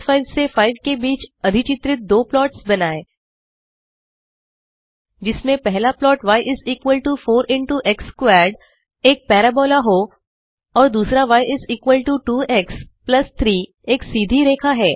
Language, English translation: Hindi, Draw a two plots overlaid upon each other, with the first plot being a parabola of the form y is equal to 4into x squared and the second being a straight line of the form y is equalto 2x plus 3 in the interval 5 to 5